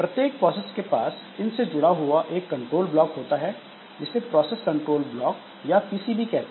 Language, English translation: Hindi, So, every process has got a control block associated with it which is known as the PCB or the process control block